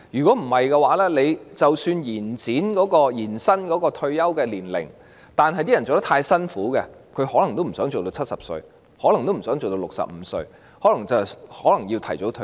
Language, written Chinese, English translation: Cantonese, 否則，即使延展了退休年齡，但工作太辛苦，他們可能亦不想工作到70歲，甚至可能不想工作到65歲，要提早退休。, Otherwise even if the retirement ages were extended they might not be willing to work up to the age of 70 years since their work is too harsh or they might even not be willing to work up to 65 such that they would opt for early retirement